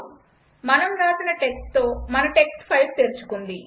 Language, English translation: Telugu, our text file is opened with our written text